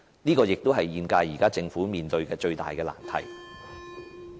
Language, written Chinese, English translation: Cantonese, 這也是現屆政府現時面對的最大難題。, That is also the greatest difficulty faced by the current Government